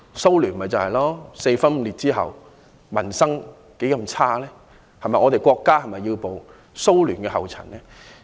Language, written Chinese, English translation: Cantonese, 蘇聯四分五裂之後，民生凋敝，我們的國家是否要步蘇聯後塵？, After the breakup of the Soviet Union people have lived in misery . Should our country follow in the footsteps of the Soviet Union?